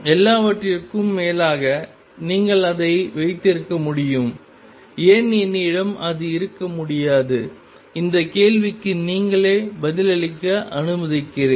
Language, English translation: Tamil, After all you could have that, why cannot I have that 'and this question I will let you answer for yourself